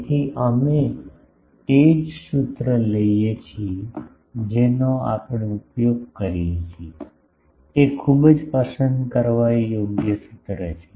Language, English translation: Gujarati, So, we take that same formula that we use, that is a very likable formula